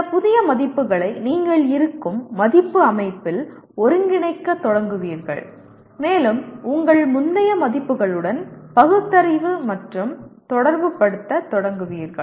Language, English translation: Tamil, In the sense you will start integrating this new values into your existing value system and you start rationalizing and relating to your earlier values